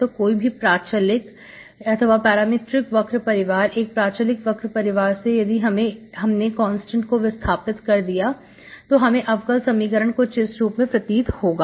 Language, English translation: Hindi, So any parametric family of curves, one parametric family of curves, if you eliminate the constant, what you end up is the differential equation like this, okay